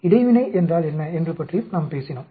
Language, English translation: Tamil, We also talked about what is interaction